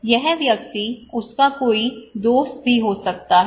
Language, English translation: Hindi, This person he may have also some friend